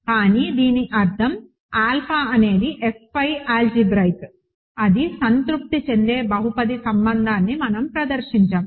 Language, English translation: Telugu, But, this exactly means alpha is algebraic over F, right we have exhibited a polynomial relation that it is satisfies